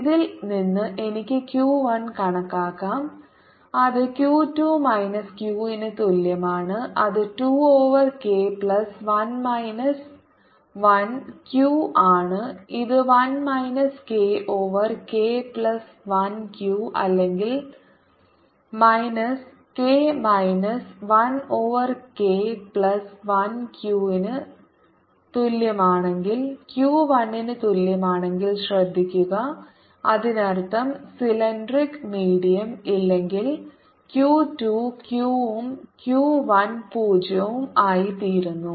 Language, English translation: Malayalam, this gives me q two, k plus one is equal to two q, or q two is equal to two over k plus one q, and from this i can calculate q one, which is going to be equal to q two minus q, which is two over k plus one minus one q, which is equal to one minus k over k plus one q, or minus k minus one over k plus one q